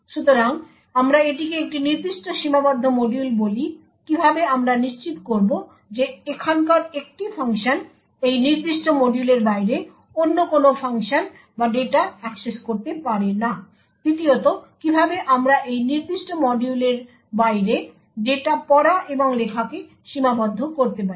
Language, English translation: Bengali, So, we call this a particular confined module how would we ensure that a function over here cannot access of another function or data outside this particular module, second how would be restrict reading and writing of data outside this particular module